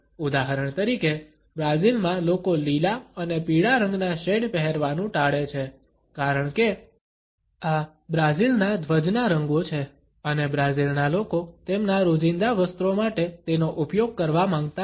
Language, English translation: Gujarati, For example, in Brazil people tend to avoid wearing shades of green and yellow because these are the colors of the Brazilian flag and the people of brazil do not want to use it for their day to day apparels